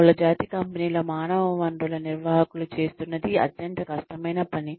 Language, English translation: Telugu, The human resources managers of multinational companies are doing, such a difficult job